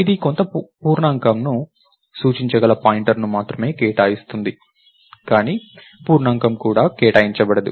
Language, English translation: Telugu, It only allocates a pointer which can point to some integer right, but the integer itself is not allocated